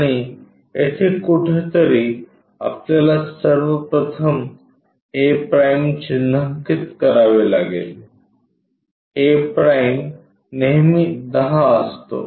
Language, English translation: Marathi, And, here somewhere we have to mark first of all a’; a’ is always be 10 so, at 10 distance a’ we have ok